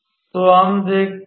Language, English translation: Hindi, So, let us see